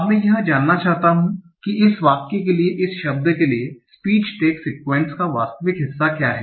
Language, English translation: Hindi, Now, I want to find out what is the actual part of speech text sequence for this word, for this sentence